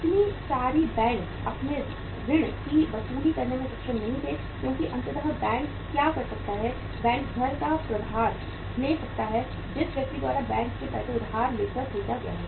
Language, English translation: Hindi, So many banks were not able to recover their loans because ultimately uh what the bank can do is bank can take the charge of the house which has been purchased by the person by borrowing money from the bank